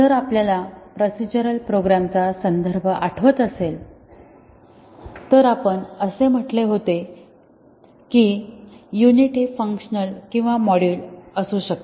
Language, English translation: Marathi, If you remember the context of procedural programs, we had said that a unit is either a function or a module